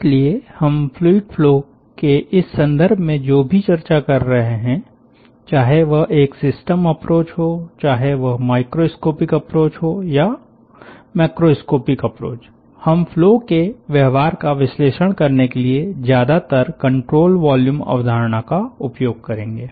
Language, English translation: Hindi, so whatever we will be discussing in this context of fluid flow, no matter whether its a system approach, no matter whether its a microscopic approach or its a macroscopic approach, we will be mostly using the control volume concept for analyzing the flow behavior